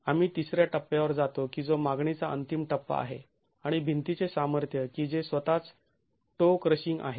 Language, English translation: Marathi, We go to the third stage which is the ultimate stage of the demand and the capacity of the wall which is toe crushing itself